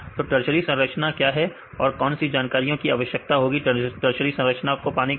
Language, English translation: Hindi, So, what is the tertiary structure which information we required to get from tertiary structure